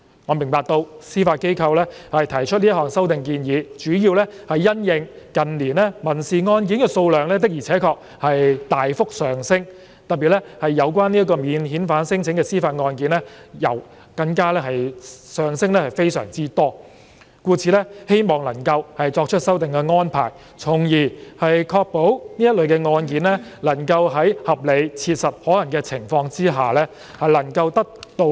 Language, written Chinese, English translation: Cantonese, 我明白到司法機構提出這項修訂建議主要是因應近年民事案件數量的確大幅上升，尤其是有關免遣返聲請的司法覆核案件，故此希望能夠作出修訂的安排，從而確保這類案件能夠在合理、切實可行的情況下得以處理。, I understand that the Judiciary proposes this amendment primarily in response to the rapid surge in civil caseloads in recent years particularly JR cases related to non - refoulement claims . With the proposed arrangement it hopes to ensure that all cases are handled as expeditiously as is reasonably practicable